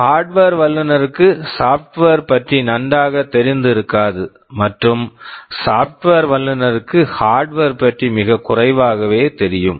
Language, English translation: Tamil, The hardware expert need not know software very well and software experts need only know very little about the hardware